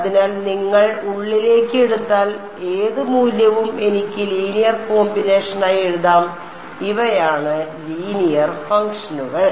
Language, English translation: Malayalam, So, any value if you take inside I can write it as a linear combination of U 1 U 2 U 3 and these are the linear functions